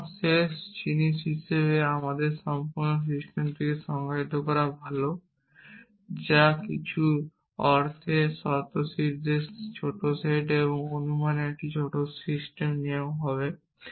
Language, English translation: Bengali, So, as a last thing it is nice to define a complete system which is minimal stance in some sense small set of axiom and small one rule of inference